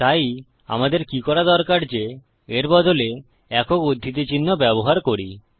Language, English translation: Bengali, So what we need to do is use our single quotation marks instead